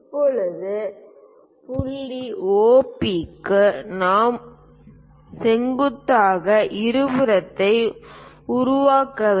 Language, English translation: Tamil, Now, what we have to do is for point OP we have to make a perpendicular bisector